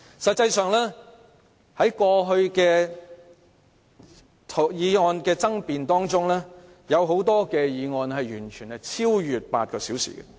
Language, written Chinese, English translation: Cantonese, 實際上，過去很多有爭議法案的二讀辯論時間超越8小時。, In fact the Second Reading of many contentious bills in the past lasted more than eight hours